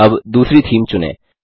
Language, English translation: Hindi, Now let us choose another theme